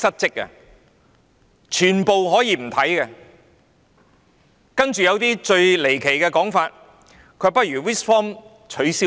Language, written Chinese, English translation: Cantonese, 接着還有一些離奇的說法，指不如把 RISC forms 取消。, Then there comes the outlandish remark suggesting the abolition of RISC forms